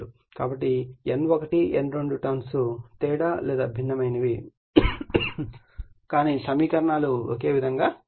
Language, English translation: Telugu, So, N1 N2 only trance difference or different, but equations are same right